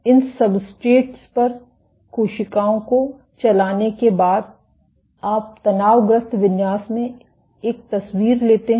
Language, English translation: Hindi, After you played the cells on these substrates you take one image in the stressed configuration